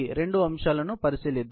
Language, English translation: Telugu, Let us look into both aspects